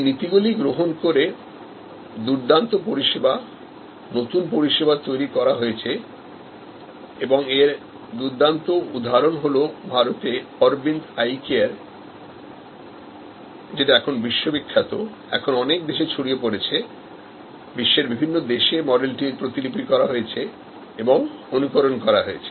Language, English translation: Bengali, Adopting these principles, great services new services have been created and excellent example is Aravind Eye Care in India, world famous now, spread to many countries, the model has been replicated, an emulated number of countries